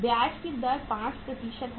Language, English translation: Hindi, The rate of interest is 5%